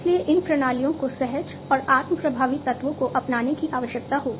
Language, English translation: Hindi, So, these systems will require intuitive and self effective elements to be adopted in them